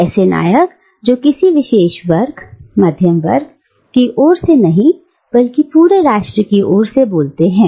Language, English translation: Hindi, Heroes who spoke not on the behalf of a particular class, the middle class, but on the behalf of the entire nation, right